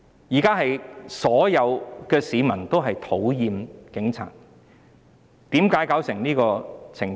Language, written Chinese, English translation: Cantonese, 現在所有市民都討厭警察，為何弄得這個地步？, All members of the public now dislike the Police . How come it has come to such a state?